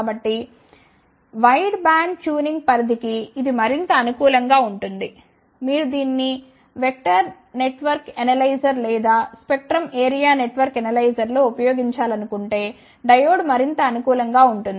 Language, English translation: Telugu, So, it is more suitable for the wide band tuning range; like if you want to use it in vector network analyzer or a spectrum area network analyzer, then the diode will be more suitable